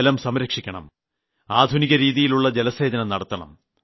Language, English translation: Malayalam, We should also modernise water irrigation